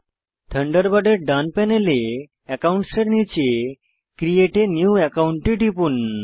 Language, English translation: Bengali, From the right panel of the Thunderbird under Accounts, click Create a New Account